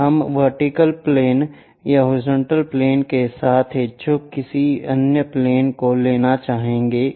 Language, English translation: Hindi, Now, we will like to take any other plane inclined either with vertical plane or horizontal plane